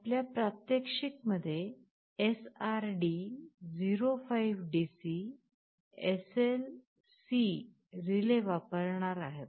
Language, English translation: Marathi, The type of relay that we shall be using in our demonstration is SRD 05DC SL C